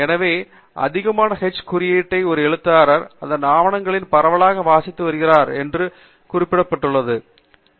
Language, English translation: Tamil, So, which also means that an author, who has higher h index, is an author whose papers are being read widely and are being referred widely